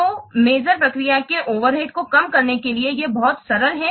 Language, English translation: Hindi, So, it is very simple enough to minimize the overhead of the measurement process